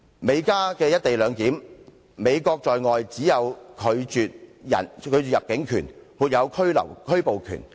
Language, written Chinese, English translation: Cantonese, 美加的"一地兩檢"安排，美國在外只能行使拒絕入境權而沒有拘捕權。, Under the co - location arrangement between the US and Canada the US can only exercise its power to refuse entry of a person to the US and has no power of arrest beyond the US boundaries